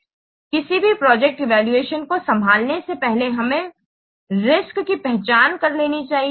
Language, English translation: Hindi, So here in any project evaluation, we should identify the risk first